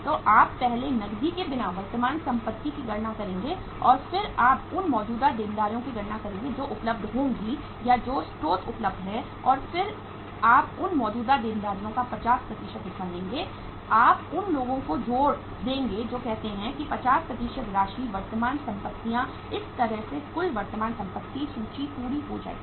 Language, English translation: Hindi, So you will calculate the current assets without cash first and then you will calculate the current liabilities which will be available or the sources available and then you will take the 50% of those current liabilities, you will add up those uh say that 50% amount into the current assets so that way the total current assets the list will be complete